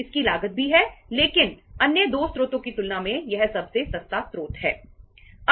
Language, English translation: Hindi, It also has a cost but as compared to the other 2 sources it is the cheapest source